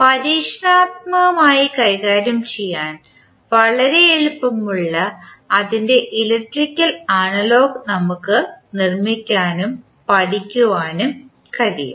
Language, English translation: Malayalam, We can build and study its electrical analogous which is much easier to deal with experimentally